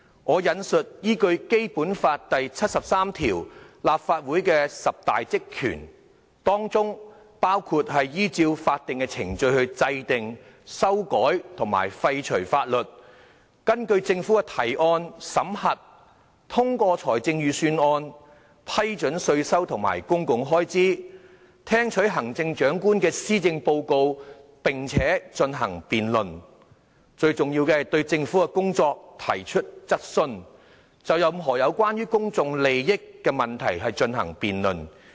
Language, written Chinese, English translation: Cantonese, 根據《基本法》第七十三條所列立法會的十大職權包括"......依照法定程序制定、修改和廢除法律"；"根據政府的提案，審核、通過財政預算"；"批准稅收和公共開支"；"聽取行政長官的施政報告並進行辯論"；而最重要的是"對政府的工作提出質詢"和"就任何有關公共利益問題進行辯論"。, Article 73 of the Basic Law stipulates 10 powers and functions of the Legislative Council including [t]o enact amend or repeal laws in accordance with the provisions of legal procedures; [t]o examine and approve budgets introduced by the Government; [t]o approve taxation and public expenditure; [t]o receive and debate the policy addresses of the Chief Executive; and most importantly [t]o raise questions on the work of the Government and [t]o debate any issue concerning public interests